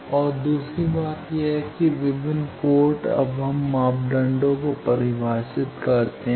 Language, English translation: Hindi, And another thing is that various ports, now we define parameters